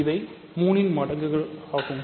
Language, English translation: Tamil, These are multiples of 3